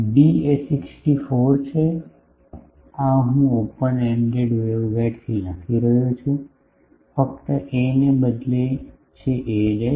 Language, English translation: Gujarati, D is 64 this is I am writing from open ended waveguide, only a is replaced by a dash